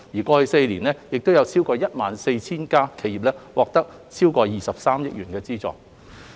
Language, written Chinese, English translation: Cantonese, 過去4年，已有超過 14,000 家企業已獲得超過23億元的資助。, Over 14 000 enterprises have received more than 2.3 billion funding in the past four years